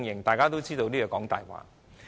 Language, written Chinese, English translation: Cantonese, 大家都知道這是謊話。, We all know that is a lie